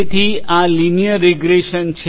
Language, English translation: Gujarati, So, that is the linear regression